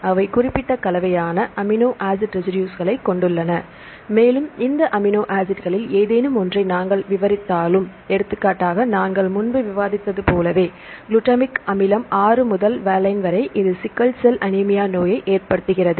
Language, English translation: Tamil, So, they have the specific combination amino acid residues and even if we describe any of these amino acids; for example, we discussed earlier right the; for the case of; right the; glutamic acid 6 to valine, it causes the disease sickle cell anemia